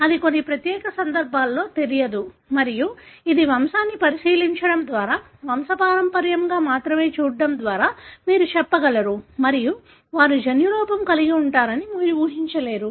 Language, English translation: Telugu, This is unknown in certain unique cases and this, by looking into the pedigree, only looking into the pedigree, you will be able to tell, and you would not anticipate that they are having the genotype